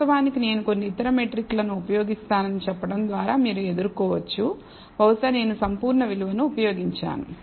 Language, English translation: Telugu, Of course, you can counter by saying I will use some other metric maybe I should have used absolute value